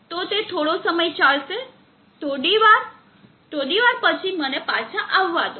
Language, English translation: Gujarati, So it will run for some time few minutes, let me comeback in a few minutes